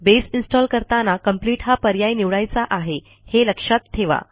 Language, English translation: Marathi, Remember, when installing, use the Complete option to install Base